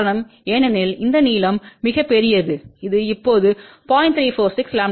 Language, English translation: Tamil, The reason for that is that this length is very large this is now 0